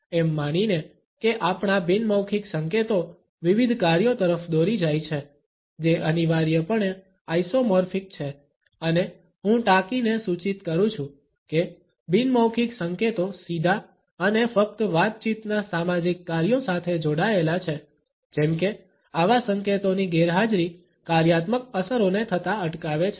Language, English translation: Gujarati, Assuming that our nonverbal cues lead to a variety of functions, which are compulsorily isomorphic and I quote suggesting that “nonverbal cues are tied directly and exclusively to communicative social functions, such that the absence of such cues precludes functional effects from occurring”